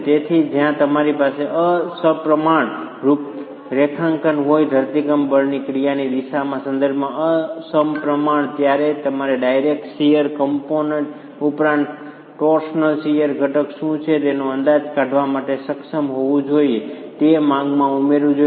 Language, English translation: Gujarati, So, when you have an unsymmetric configuration, unsymmetric with respect to the direction of action of the earthquake force, you should be able to in addition to the direct shear component, estimate what is a torsional shear component and add that in the demand coming onto the wall itself the separate walls